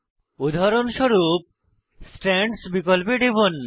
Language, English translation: Bengali, For example click on Strands option